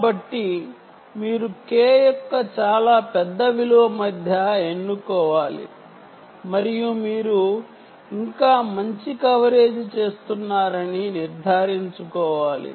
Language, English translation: Telugu, so therefore you have to choose between a very large value of k and ensure that you still do a good coverage right